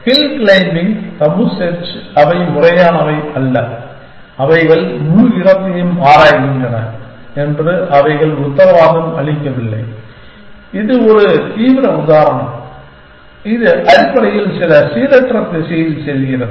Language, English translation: Tamil, Hill climbing, tabu search they are not systematic, they do not guarantee that they will explore the entire space and this is an extreme example, it just go of in some random direction essentially